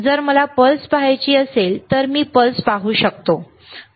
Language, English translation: Marathi, If I want to see the pulse, then I can see the pulse, right